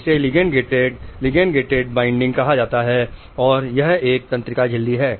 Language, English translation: Hindi, This is called a ligand gated, ligand binding and this is a neural membrane